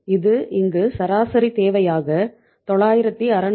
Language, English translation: Tamil, This works out as the average requirement here it is 966